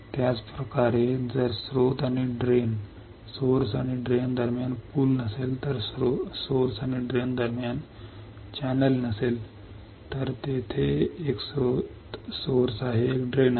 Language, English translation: Marathi, Same way if there is no bridge between source and drain, if there is no channel between source and drain here is a source here is a drain